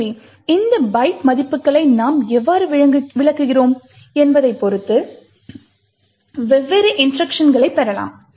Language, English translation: Tamil, So, depending on how we interpret these byte values we can get different instructions